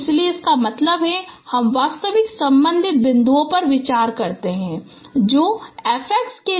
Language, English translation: Hindi, So that means you consider the actual corresponding points which has been observed for x5